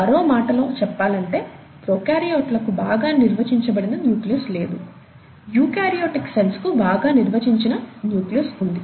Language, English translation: Telugu, In other words, prokaryotes do not have a well defined nucleus, eukaryotic cells have a well defined nucleus